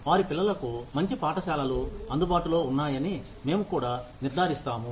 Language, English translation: Telugu, We will also ensure that, good schools are available for their children